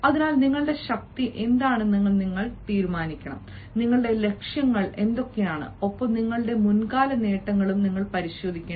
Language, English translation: Malayalam, so you should decide: what are your strengths, what are your goals, and you should also have a look at your past achievements